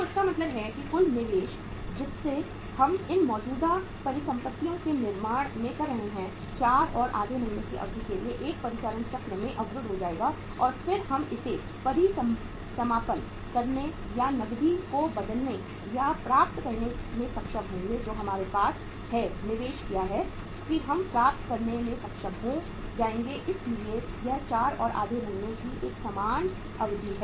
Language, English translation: Hindi, So it means total investment which we are making in creation of these current assets will be blocked in 1 operating cycle for a period of 4 and half months and then we will be able to liquidate it or to convert or get the cash back what we have invested that we will be able to get back so it is a normal period of the 4 and half months